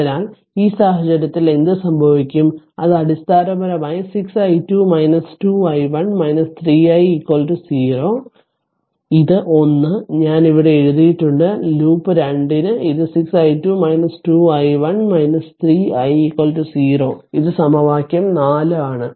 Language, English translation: Malayalam, So, in in this case what will happen it will basically 6 i 2 minus 2 i 1 minus 3 i is equal to 0 this 1 I have written here right , for loop 2 this is 6 i 2 minus 2 i 1 minus 3 i is equal to 0 this is equation 4